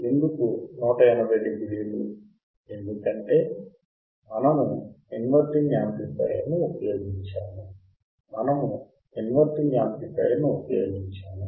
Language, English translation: Telugu, Why 180 degree because we have used inverting amplifier right, we have used inverting amplifier